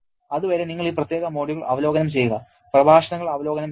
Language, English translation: Malayalam, And till then, you please review this particular module, review the lectures